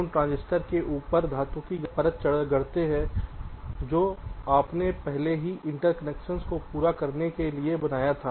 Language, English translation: Hindi, you only fabricate the metal layers on top of the transistors that you already created in order to complete the interconnections